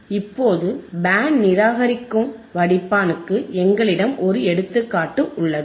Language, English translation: Tamil, Now, for Band Reject Filter, we have an example